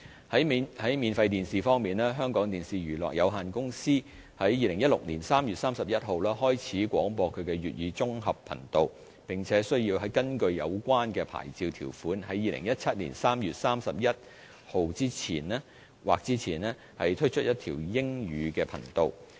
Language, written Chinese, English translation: Cantonese, 在免費電視方面，香港電視娛樂有限公司於2016年3月31日開始廣播其粵語綜合頻道，並須根據有關牌照條款，於2017年3月31日或之前推出一條英語頻道。, Regarding free - to - air television channels the Hong Kong Television Entertainment Company Limited HKTVE has launched its integrated Chinese channel since 31 March 2016 . In accordance to its licence requirements HKTVE will have to launch its integrated English channel no later than 31 March 2017